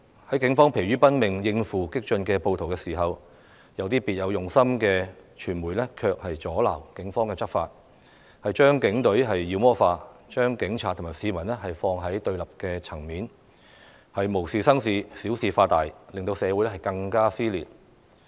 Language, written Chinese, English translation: Cantonese, 當警方疲於奔命應付激進暴徒的時候，有些別有用心的傳媒卻阻撓警方執法，把警隊妖魔化，把警察與市民放在對立層面，無事生事，小事化大，令社會更加撕裂。, While the Police exhausted themselves dealing with radical mobs media with ulterior motives obstructed law enforcement actions demonized the Police Force polarized the Police and the public stirred up troubles blew the matter out of proportions and further intensified the social division